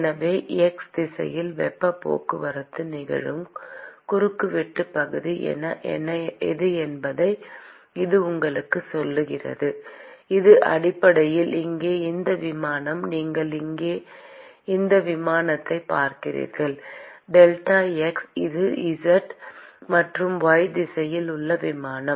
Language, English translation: Tamil, So, that tells you what is the cross sectional area at which the heat transport is occurring in the x direction that is basically this plane here you see this plane here delta x it is the plane in the z and the y direction